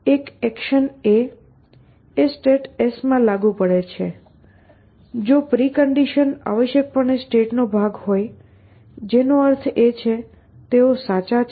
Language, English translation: Gujarati, So, an action a is applicable in a state s, if preconditions are part of the state essentially, which means that they are true essentially